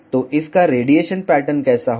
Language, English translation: Hindi, So, how will be its radiation pattern